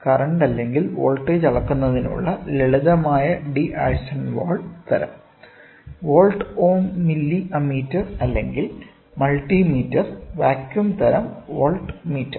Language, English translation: Malayalam, So, they are simple D’Arsonval type to measure current or voltage volt ohm milli ammeter or multi meter vacuum type voltmeter